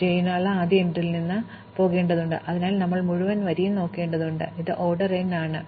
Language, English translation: Malayalam, Because we need to go from the first entry for j and we have to look at the entire row for j, so this is order n